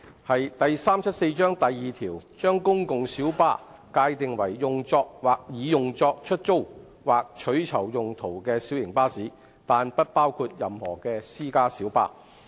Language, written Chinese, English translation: Cantonese, 第374章第2條將"公共小巴"界定為"用作或擬用作出租或取酬用途的小型巴士，但不包括任何私家小巴"。, Public light bus PLB is defined under section 2 of Cap . 374 as a light bus other than any private light bus which is used or intended for use for hire or reward